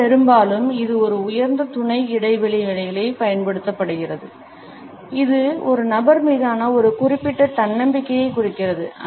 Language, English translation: Tamil, Very often it is used in a superior subordinate interaction; it indicates confidence in a person a certain self assurance